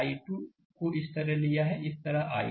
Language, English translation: Hindi, We have taken i 2 like this; i 2 like this